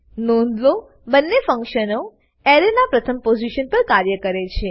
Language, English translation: Gujarati, Note: Both these functions works at first position of an Array